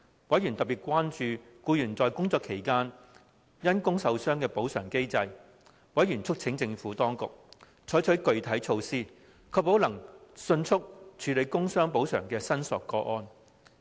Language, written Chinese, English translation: Cantonese, 委員特別關注就僱員在工作期間因工受傷的補償機制。委員促請政府當局採取具體措施，確保能迅速處理工傷補償的申索個案。, Members are particularly concerned with the compensation mechanism for employees who sustained injuries in the course of their employment and called on the Administration to take concrete measures to ensure the expeditious handling of cases of work injury compensation claims